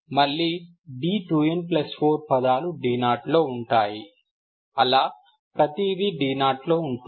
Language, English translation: Telugu, Again d 2 n plus 4 will be in terms of d naught, everything in terms of d naught